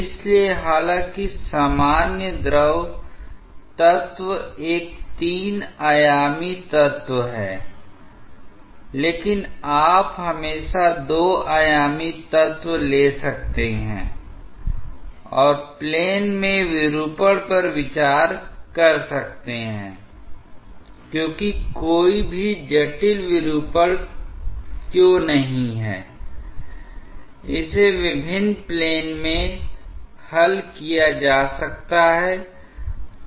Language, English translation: Hindi, So, although the general fluid element is a 3 dimensional element, but you can always take a 2 dimensional element and consider the deformation in the plane because no matter how complicated deformation is, it may be resolved in different planes